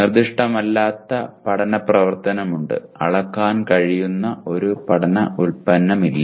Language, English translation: Malayalam, There is nonspecific learning activity and not a learning product that can be measured